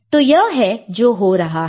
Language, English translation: Hindi, So, that is what is happening